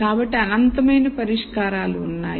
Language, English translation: Telugu, So, there are infinite number of solutions